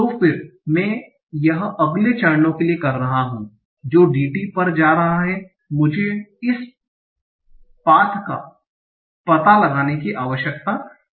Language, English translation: Hindi, So when I am doing it for the next steps that are going via DT, I do not need to explore this path